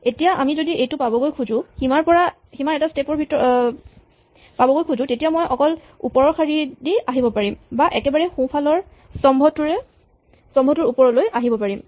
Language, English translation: Assamese, Now, if we want to reach this its very clear that I can only come all the way along the top row or all the way up the rightmost column, there is no other way I can reach them